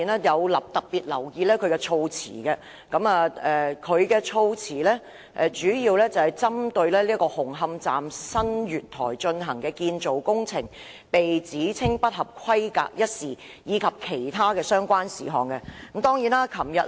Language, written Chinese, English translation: Cantonese, 我特別留言議案的措辭，主要是針對紅磡站新月台進行的建造工程被指稱不合規格一事，以及其他的相關事項。, I have paid particular attention to the wordings of the motion which is mainly related to the alleged substandard construction works carried out at the new platforms of Hung Hom Station and other related matters